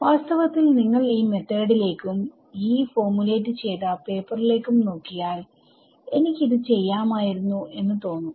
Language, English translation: Malayalam, And in fact when you look at this method and the paper as formulated by Yee you would think; oh I could have done this, you know it is really that simple